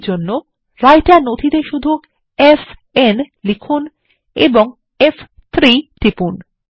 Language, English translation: Bengali, For this simply write f n on the Writer document and press F3